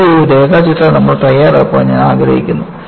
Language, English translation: Malayalam, And, I would like you to make a neat sketch of this